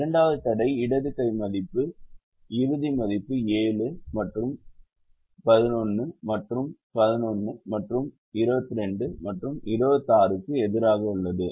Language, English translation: Tamil, the second constraint, the left hand side value, final value is seven versus seven and eleven versus eleven and twenty two versus twenty six